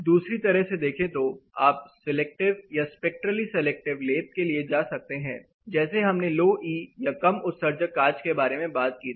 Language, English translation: Hindi, Other way of looking at is to go for selective or spectrally selective coating where we talked about low e glasses low emission glasses